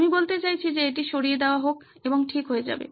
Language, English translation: Bengali, I mean just remove that and you would’ve been fine